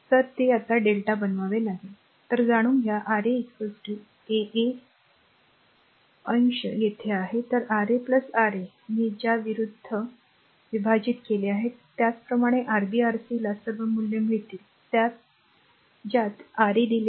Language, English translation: Marathi, So, you have to make it delta; so, we know Ra is equal to your R 1, R 2 numerator is same here R 2 R 3, plus R 3 R 1 right divided by that opposite term R 1, similarly Rb Rc we will be get all the values have R 1 R 2 R 3 is given